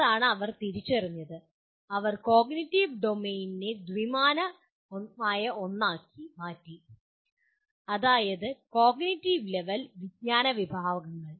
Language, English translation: Malayalam, That is what they have identified and they converted cognitive domain into a two dimensional one, namely cognitive level and knowledge categories